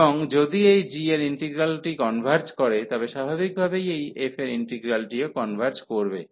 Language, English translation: Bengali, And if the integral of this g converges, then naturally the integral of this f will also converge